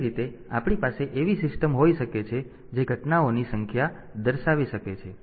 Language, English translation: Gujarati, So, that way we can have a system that can display the number of events that have occurred